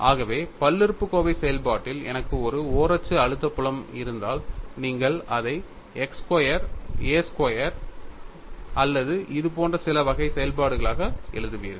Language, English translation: Tamil, So, if I have a uniaxial stress field in the polynomial function, you will write it as x square a x square or some such type of function